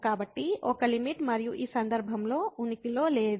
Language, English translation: Telugu, So, limit and does not exist in this case